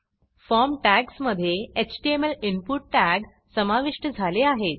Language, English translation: Marathi, A HTML input tag is now added between the form tags